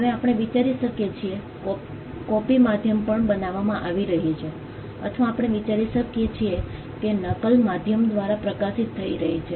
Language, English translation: Gujarati, Now, we can think about copy is being made an on a medium or we can think of copy is being transmitted through a medium